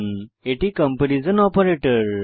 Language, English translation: Bengali, This is the comparison operator